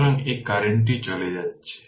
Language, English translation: Bengali, So, this current is leaving